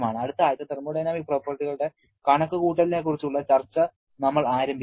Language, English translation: Malayalam, So, that is it for this particular week, in the next week, we shall be starting the discussion on the calculation of thermodynamic properties